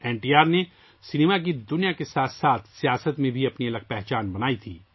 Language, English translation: Urdu, NTR had carved out his own identity in the cinema world as well as in politics